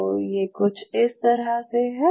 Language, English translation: Hindi, So, we are talking about something like this